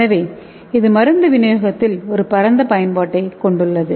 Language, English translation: Tamil, So that is why it has a wide application in drug delivery